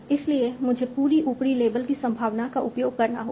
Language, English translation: Hindi, So I have to use the probability from the upper label